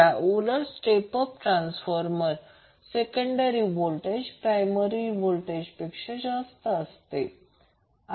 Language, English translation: Marathi, Whereas in case of step up transformer the secondary voltage is greater than its primary voltage